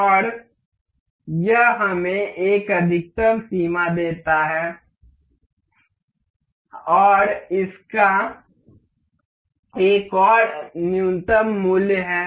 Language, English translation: Hindi, And it gives us a maximum limit and its another this is minimum value